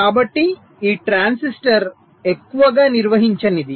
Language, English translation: Telugu, so this transistor will be mostly non conducting